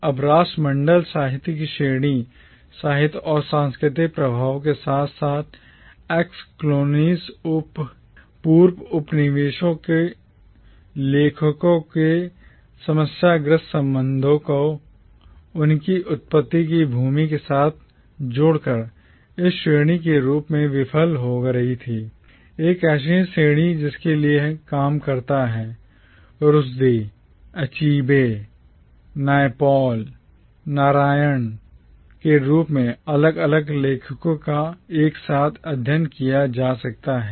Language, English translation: Hindi, Now the category of Commonwealth literature, by not factoring in this interconnected nature of literary and cultural influences as well as the problematic relationship of authors from ex colonies with the land of their origin, was failing as a category, a category through which works of authors as different as Rushdie, Achebe, Naipaul and Narayan can be studied together